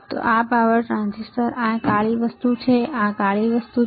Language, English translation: Gujarati, Now, this power transistor this black thing, what is this black thing